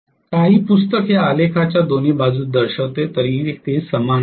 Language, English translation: Marathi, Some book shows it on either side of the graph, anyway it is the same